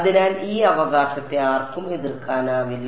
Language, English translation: Malayalam, So, no one can object to this right